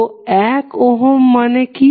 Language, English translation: Bengali, So for 1 Ohm, what you will say